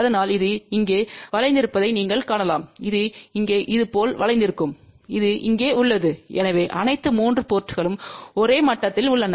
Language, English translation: Tamil, So, where you can see that this is bent here this is bent like this here and this one over here, so the all the 3 ports are at the same level ok